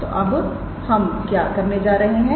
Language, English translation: Hindi, So, what are we going to do